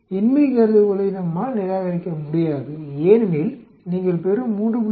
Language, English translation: Tamil, We cannot reject the null hypothesis because you get a 3